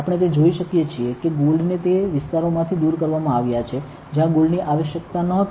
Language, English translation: Gujarati, We can see it right the gold has been removed from areas, where the gold was not required